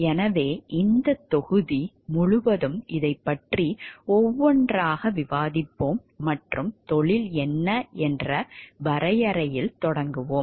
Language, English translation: Tamil, So, we will discuss this throughout this module one by one and starting with the definition of what is a profession